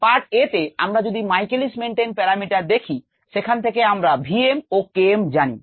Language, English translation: Bengali, part a: michaelis menten parameters, which we know are v, m and k m n